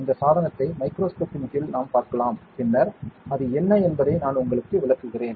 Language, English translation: Tamil, We can see this device under the microscope then I will explain to you what is it about